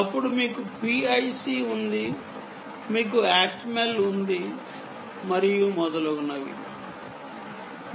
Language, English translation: Telugu, then you have pic, you have atmal, and so on and so forth